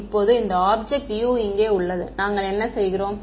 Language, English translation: Tamil, Now this object over here U over here, what are we doing